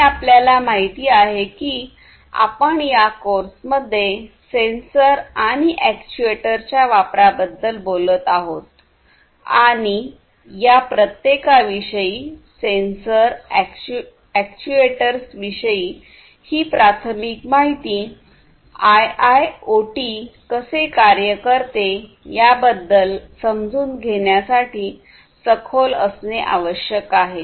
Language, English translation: Marathi, And, you know, everywhere throughout you will see that in this course, we are talking about the use of sensors and actuators, and this preliminary understanding about each of these, the sensors and actuators, is necessary for you to have an in depth understanding about how IIoT works